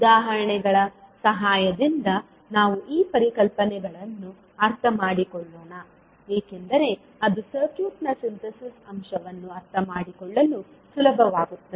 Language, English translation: Kannada, So let us understand these concepts with the help of examples because that would be easier to understand the Synthesis aspect of the circuit